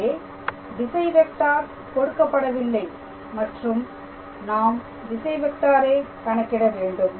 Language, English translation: Tamil, So, this is the given vector from here I have to obtain a unit vector